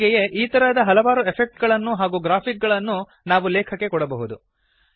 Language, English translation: Kannada, Similarly, various such effects and graphics can be given to the text